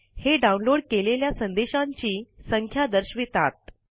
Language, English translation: Marathi, It displays the number of messages that are being downloaded